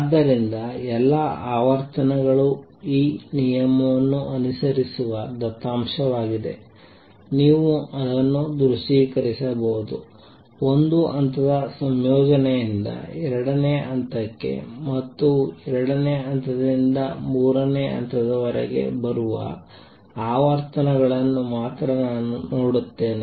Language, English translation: Kannada, So, all the frequency is data seen follow this rule, you can visualize this that only I see only those frequencies that come from combination of one level to the second level and from second level to the third level I cannot the combine frequency arbitrarily